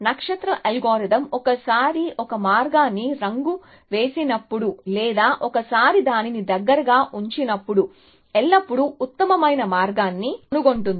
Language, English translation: Telugu, star algorithm, when once it colors a path or once it puts it in close either always found the best path essentially